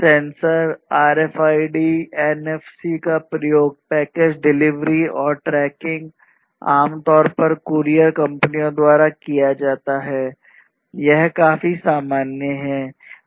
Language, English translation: Hindi, Sensors being used RFIDs, NFCs, tracking of package delivery, typically by courier companies this is quite common